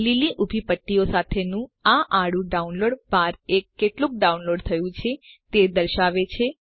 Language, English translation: Gujarati, This horizontal download bar with the green vertical strips shows how much download is done